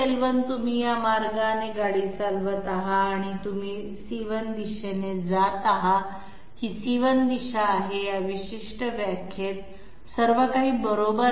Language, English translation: Marathi, L1 you are driving this way and you are ending up in C1 direction, this is C1 direction, everything is correct in this particular definition